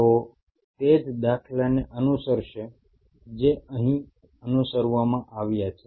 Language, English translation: Gujarati, They will follow the same paradigm as has been followed out here